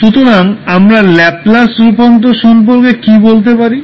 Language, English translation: Bengali, So what we can say about the Laplace transform